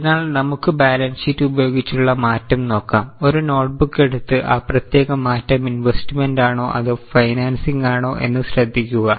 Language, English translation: Malayalam, One by one look at the change and take a notebook and note whether that particular change is investing or financing